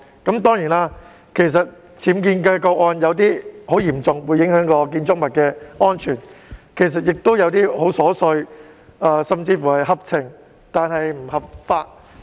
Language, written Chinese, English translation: Cantonese, 當然，有些僭建的個案很嚴重，會影響建築物的安全，亦有些個案很瑣碎，甚至是合情但不合法。, Of course some UBW cases are very serious and will affect the safety of the buildings whereas some cases are very trivial or even understandable but unlawful